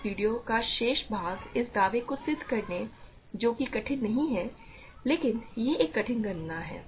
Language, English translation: Hindi, The remaining part of this video will be proving this claim which is which is not difficult, but it is a tedious calculation